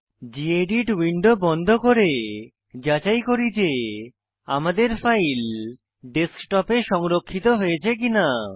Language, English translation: Bengali, Lets close this gedit window now and check whether our file is saved on the Desktopor not